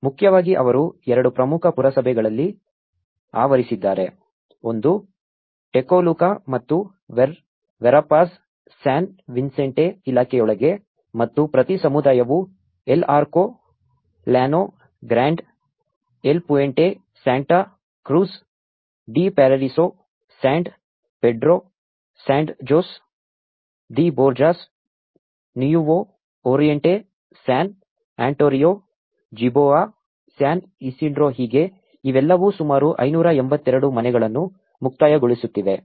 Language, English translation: Kannada, Mainly, they have covered in the two major municipalities, one is a Tecoluca and Verapaz, within the department of San Vicente and each community includes El Arco, Llano Grande, El Puente, Santa Cruz de Paraiso, San Pedro, Sand Jose de Borjas, Nuevo Oriente, San Antonio Jiboa, San Isidro so, these are all concluding about 582 houses